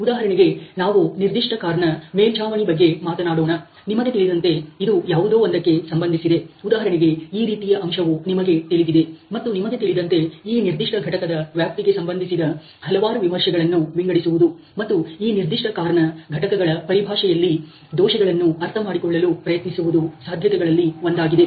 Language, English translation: Kannada, For example, let us say when we are talking about the roof of a particular car, you know this can be related to something like, you know this kind of an aspect, and you know one of the possibilities is to sort of review, the various related areas of this particular, you know module and try to understand the defects in terms of the modules related to this particular car